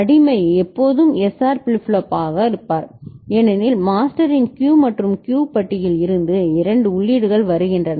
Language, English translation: Tamil, And the slave will always be SR flip flop because there are two inputs coming from Q and Q bar of the master ok